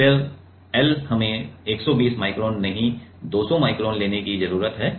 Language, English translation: Hindi, Then l is given as here we need to take 200 micron not 120 micron